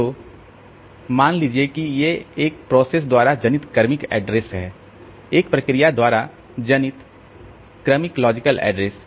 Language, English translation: Hindi, So, like that suppose these are the successive addresses generated by a process, successive logical addresses generated by a process